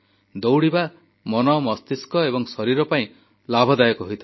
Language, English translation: Odia, Running is beneficial for the mind, body and soul